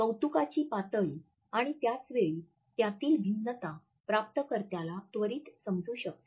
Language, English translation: Marathi, The level of appreciation and at the same time different variations are also immediately understood by the receiver